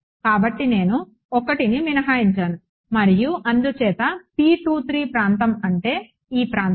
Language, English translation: Telugu, So, I exclude 1 and therefore, is the area of P 2 3 so that means, this area